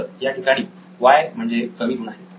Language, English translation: Marathi, So, here the Y is low number of low scores